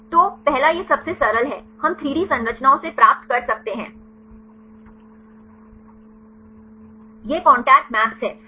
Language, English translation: Hindi, So, first one is this simplest one, we can obtain from 3D structures, it is the contact maps right